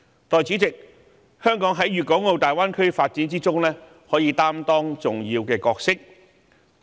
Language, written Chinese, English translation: Cantonese, 代理主席，香港在粵港澳大灣區發展中可以擔當重要角色。, Deputy President Hong Kong can play a vital role in the development of the Greater Bay Area